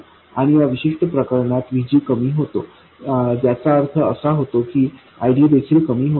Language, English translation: Marathi, And in this particular case, VG falls down which implies that ID also falls down